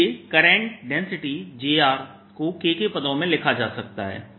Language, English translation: Hindi, the current density can therefore be written as k